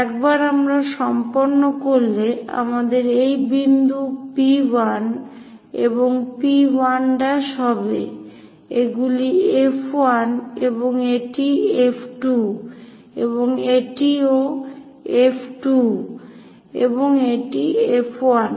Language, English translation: Bengali, Once we are done we will have this point P 1 and P 1 prime, these are F 1, and this is F 2, and this is also F 2, and this is F 1